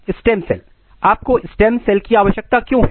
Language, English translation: Hindi, So, stem cell, why you need stem cells